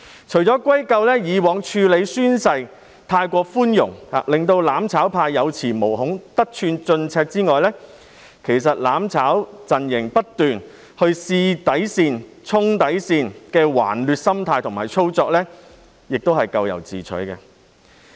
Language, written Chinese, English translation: Cantonese, 除了歸咎於過往處理宣誓過於寬容致令"攬炒派"有恃無恐、得寸進尺外，"攬炒"陣營不斷試探及衝擊底線，抱持頑劣心態，亦是咎由自取。, While the lenient way of handling oath - taking in the past has emboldened the mutual destruction camp to take advantage of the situation the unruly mentality exhibited by the mutual destruction camp making repeated attempts to test and challenge the bottom line should also be blamed